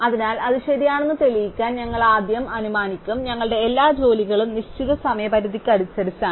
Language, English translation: Malayalam, So, to prove that is correct we will first assume that we have actually numbered all our jobs in order of deadline